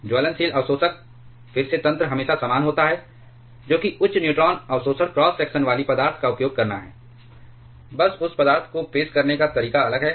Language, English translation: Hindi, Burnable absorbers, again mechanism is always the same, that is to use a material with high neutron absorption cross section, just the mode of introducing that material that is different